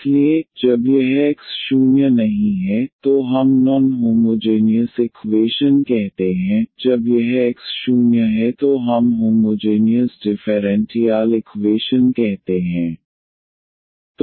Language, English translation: Hindi, So, when this X is not 0 we call the non homogeneous equation, when this X is 0 we call as homogeneous differential equation